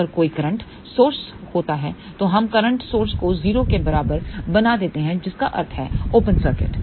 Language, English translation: Hindi, Had there been a current source, then we would have made current source equal to 0 that would imply open circuit